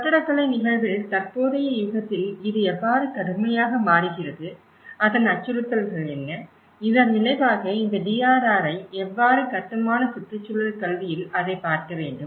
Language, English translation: Tamil, And how it is relevant in the architectural phenomenon and especially, in the present age how it is drastically changing and what are the threats and as a result how this DRR has to be looked into it in the built environment education